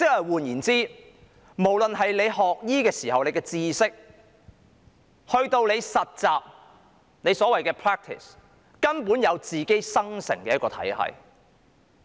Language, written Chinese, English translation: Cantonese, 換言之，不論是學醫時學習到的知識，以至是所謂的實習，根本是自然生成的一個體系。, In other words knowledge learnt in medical schools as well as what we called practice is a naturally occurring system